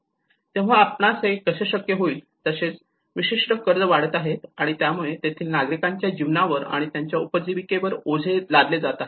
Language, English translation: Marathi, So how we are able to, how this particular debt is increasing, and it is adding to the burden of the citizen's lives and their livelihoods